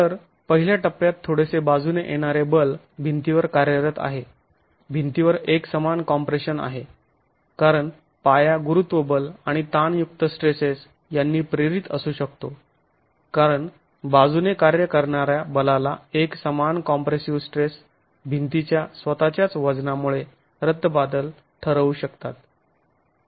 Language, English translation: Marathi, So, in the first stage if you have slight lateral force acting on the wall, the wall is in uniform compression because of the gravity forces and the tensile stresses that can be induced at the base because of the action of lateral forces get nullified by the uniform compressive stress due to the weight of the wall itself